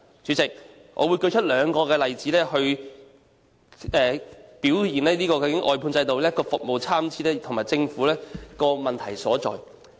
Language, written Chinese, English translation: Cantonese, 主席，我會列舉兩個例子指出外判制度令服務質素參差，以及政府的問題所在。, President I will cite two examples to show that the outsourcing system has led to varying standards of quality of service and point out the problems of the Government